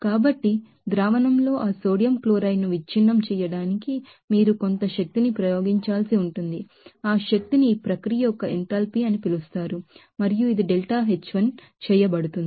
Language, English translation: Telugu, And so, to break that sodium chloride in the solution, you will have to exert a certain amount of energy that energy is called that enthalpy of this process 1 and it is let it be deltaH1